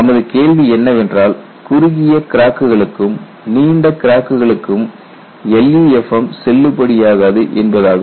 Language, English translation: Tamil, Because your question is LEFM is not valid for short cracks as well as for long cracks